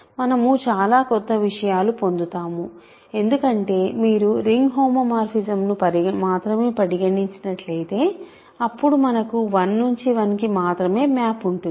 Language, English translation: Telugu, So, we do get lots of a new objects because, if you insist on only if you only consider ring homomorphism then there is exactly 1 because, 1 has to go to 1